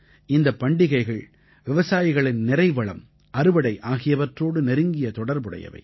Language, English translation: Tamil, These festivals have a close link with the prosperity of farmers and their crops